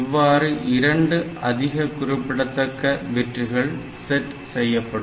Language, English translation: Tamil, So, the least the most significant 2 bits are to be set